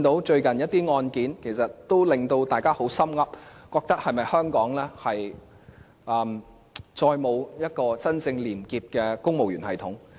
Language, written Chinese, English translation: Cantonese, 最近一些案件，令大家十分憂心，擔心香港是否再也沒有一個真正廉潔的公務員系統。, Some recent cases were worrying to the extent that we doubted whether an honest and clean civil service system was no longer existing in Hong Kong